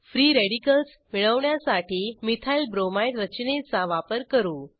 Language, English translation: Marathi, Lets use the Methylbromide structure to obtain free radicals